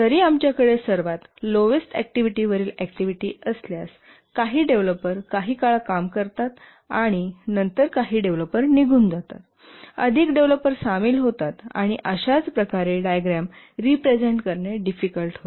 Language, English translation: Marathi, Even if we have the lowest level activity, some developers work for some time and then some developers leave, more developers join and so on, it becomes very difficult to represent in a diagram